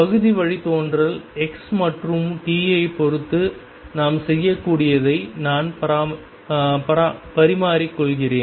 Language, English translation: Tamil, I interchange the partial derivative is with a respect to x and t that we can do